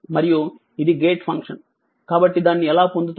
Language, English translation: Telugu, And it is a gate function, so how we will get it